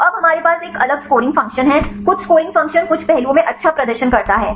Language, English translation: Hindi, So, now, we have a different scoring function,some scoring function performs good in some aspects